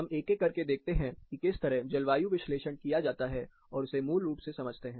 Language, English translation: Hindi, Let us see, step by step, how climate analysis can be done, and understood basically